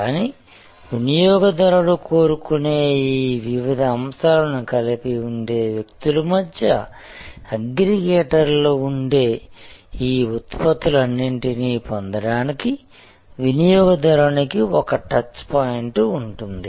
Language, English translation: Telugu, But, if there are aggregators in between, people who put together these various elements desired by the consumer, then the consumer has one touch point to acquire all these various products